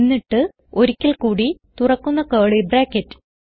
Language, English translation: Malayalam, Then once again, open curly bracket